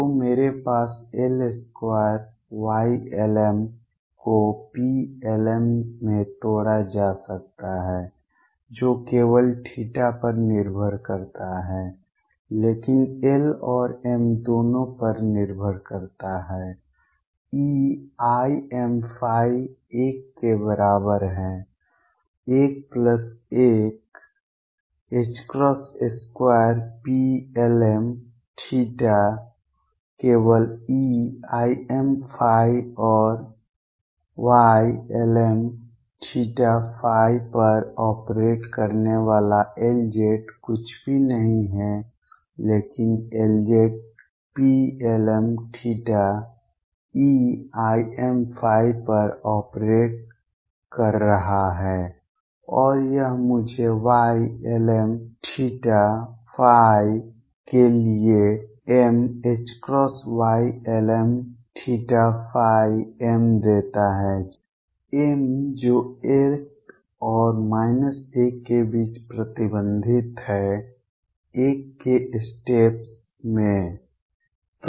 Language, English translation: Hindi, So, I have L square l m can be broken into P Y l m that depends only on theta, but does depend on l and m both, e raised to i m phi is equal to l, l plus 1 h cross square p l m theta only e raise to i m phi, and L z operating on Y l m theta and phi is nothing, but L z operating on P l m theta e raise to i m phi and that gives me m h cross Y l m theta and phi m for a Y l m theta and phi m is restricted between l and minus l in steps of 1